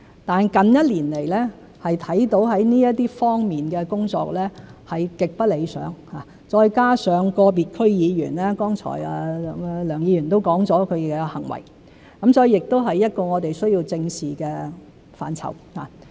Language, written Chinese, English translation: Cantonese, 但近一年來，可看到在這方面的工作是極不理想，再加上個別區議員作出剛才梁議員提及的行為，所以亦是我們需要正視的範疇。, Nonetheless in the past year we see that work in this aspect is extremely undesirable coupled with the conduct of individual DC members which Mr LEUNG just mentioned so this is also an area we need to address